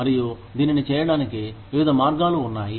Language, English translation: Telugu, And, there are various ways, of doing it